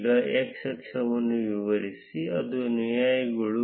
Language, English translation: Kannada, Now define the x axis, which are the followers